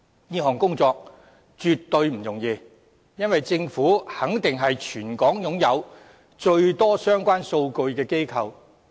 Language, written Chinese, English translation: Cantonese, 這項工作絕對不容易，因為政府肯定是全港擁有最多相關數據的機構。, It is no mean feat because the Government is certainly the organization in possession of the most relevant data in Hong Kong